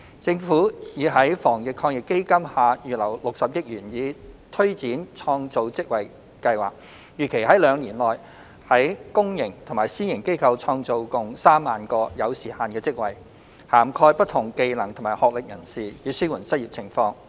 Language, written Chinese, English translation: Cantonese, 政府已在防疫抗疫基金下預留60億元以推展創造職位計劃，預期在兩年內於公營及私營機構創造共 30,000 個有時限的職位，涵蓋不同技能及學歷人士，以紓緩失業情況。, The Government has earmarked 6 billion under the Anti - epidemic Fund to take forward the Job Creation Scheme which is expected to create 30 000 time - limited jobs in the public and private sectors in the coming two years for people of different skill sets and academic qualifications to relieve the unemployment situation